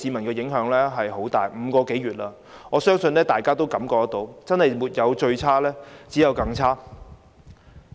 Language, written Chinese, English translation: Cantonese, 經過這5個多月，我相信大家都感覺到情況真的是"沒有最差，只有更差"。, Having experienced what happened over these five - odd months I believe all of us have got the feeling that things can simply get worse and worse